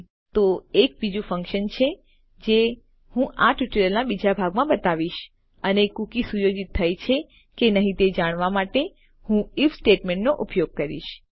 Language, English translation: Gujarati, Okay now there is another function which I will cover in the second part of this tutorial and Ill use an if statement to find out if a cookie is set or not